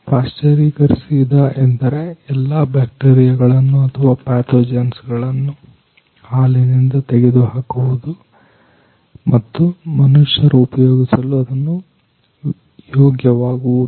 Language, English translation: Kannada, Pasteurising means removing all bacteria or pathogens from milk and make it safe to safe for human consumption